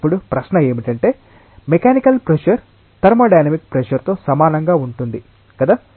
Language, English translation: Telugu, Now the question is the mechanical pressure going to be equal to thermo dynamic pressure or not